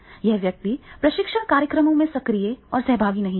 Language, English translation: Hindi, He will not be active, he will not be participative in the training programs